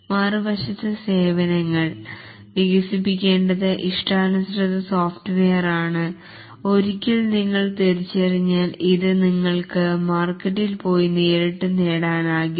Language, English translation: Malayalam, On the other hand, the services are custom software which needs to be developed once you identify this, you can just go to the market and directly get it